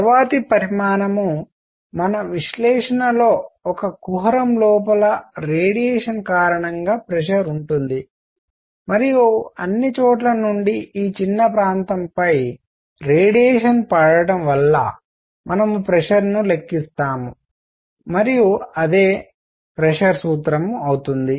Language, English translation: Telugu, The next quantity, we will need in our analysis is going to be pressure due to radiation inside a cavity and we will do a calculation of pressure due to radiation falling on this small area here from all over the place and that would be the pressure formula